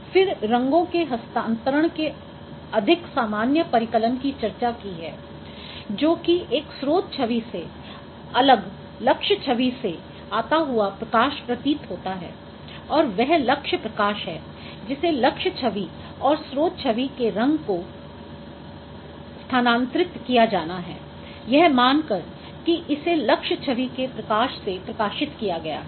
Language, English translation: Hindi, Then color transfer is a more general computations of transferring colors which is the where the illumination is seemingly coming from a different target image from a target image or from a source image and that is a target illumination which is described by a target image and from there and the color of the source image to be transferred as if it has been illuminated by the illuminator of the target image